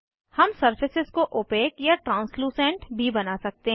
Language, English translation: Hindi, We can also make the surfaces opaque or translucent